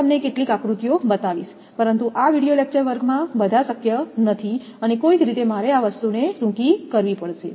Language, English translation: Gujarati, Some of the diagrams I will show, but all is not possible in this video lecture class and somehow I have to condense this thing